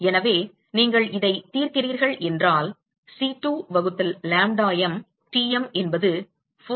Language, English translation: Tamil, So, you solve this what you will find is that C2 by lambda m Tm is 4